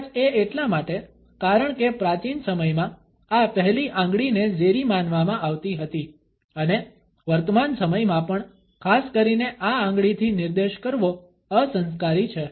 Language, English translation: Gujarati, Maybe it is, because in ancient days, this forefinger was regarded as venomous and even in present times it is rude to point especially, with this finger